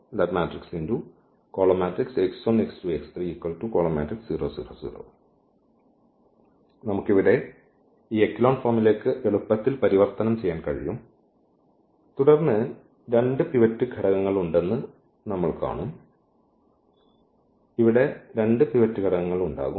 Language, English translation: Malayalam, So, we can easily convert to this echelon form here and then we will see there will be 2; there will be 2 pivot elements here